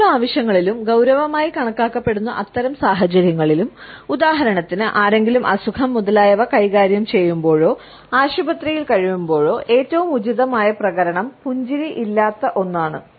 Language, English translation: Malayalam, In sittings of work and in those situations, which are considered to be serious for example, when somebody is dealing with illness etcetera or is in hospital the most appropriate response is one that is reserved with no smile